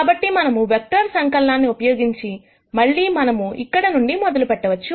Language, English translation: Telugu, So, using vector addition, again we can start from here let us say, and this is x